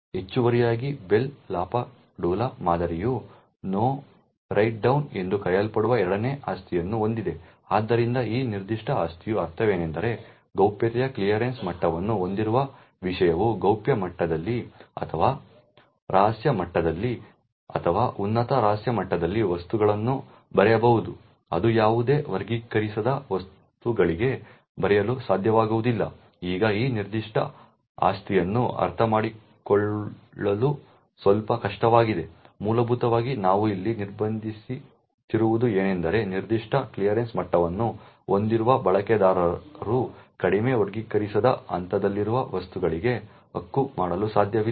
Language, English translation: Kannada, Additionally the Bell LaPadula model also has is second property known as No Write Down, so what this particular property means is that while a subject with a clearance level of confidential can write objects in confidential level or secret level or top secret level, it will not be able to write to any unclassified objects, now this particular property is a bit difficult to understand, essentially what we are restricting here is that a user with a certain clearance level cannot right to objects which are at a lower classification level, on the other hand this particular subject can write to all objects at a higher classification level